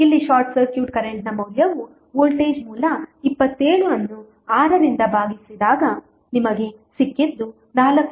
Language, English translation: Kannada, Here the short circuit current value would be that is the voltage source 27 divided by 6 so what you got is 4